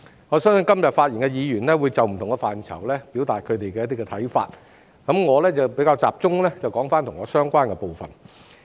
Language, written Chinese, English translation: Cantonese, 我相信今天發言的議員會就不同的範疇表達他們的想法，我會集中談論與我相關的部分。, While I believe Members speaking today will express their views on different policy areas I will focus my discussion on the parts that concern me